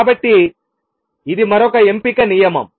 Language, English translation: Telugu, So, this is another selection rule